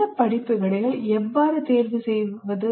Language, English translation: Tamil, So how do we choose these courses